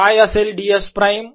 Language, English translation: Marathi, what is d s prime